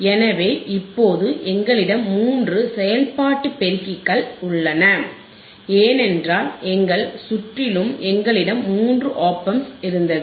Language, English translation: Tamil, So, now we have here three operational amplifiers; 1, 2, and 3 right because in our circuit also we had three OP Amps right